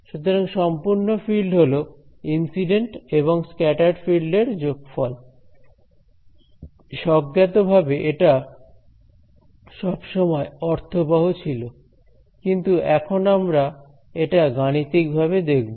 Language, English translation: Bengali, So, total field is the sum of incident and scattered field intuitively they are always made sense, but now we are seeing it mathematically